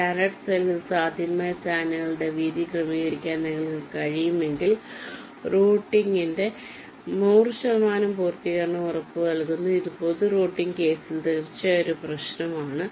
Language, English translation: Malayalam, and if you can adjust the width of the channels, which in standard cell is possible, then hundred percent completion of routing is guaranteed, which is indeed a problem in general routing case, say